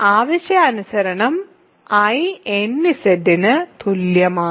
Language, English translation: Malayalam, So, I is exactly equal to nZ, as required